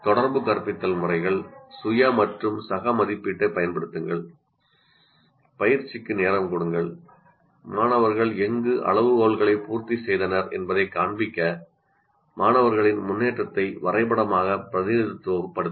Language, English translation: Tamil, Use interactive teaching methods, self and peer assessment, give time for practice, get students to show where they have met the criteria, get students to represent their progress graphically